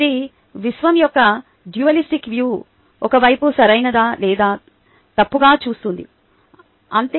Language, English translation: Telugu, this looks like at a dualistic view of the universe: on one side, either right or wrong, thats all